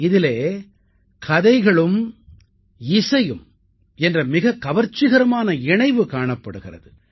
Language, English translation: Tamil, It comprises a fascinating confluence of story and music